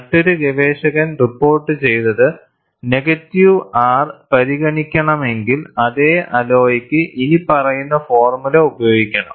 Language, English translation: Malayalam, And another researcher reported that, if negative R is to be considered, then one should use the following formula, for the same alloy